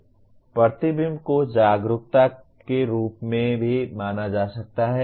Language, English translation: Hindi, Reflection can also be considered as awareness